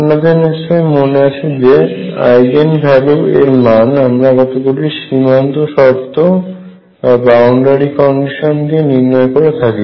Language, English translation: Bengali, So, recall That Eigen values are determined by some boundary condition